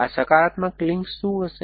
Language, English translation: Gujarati, What are these positive links going to be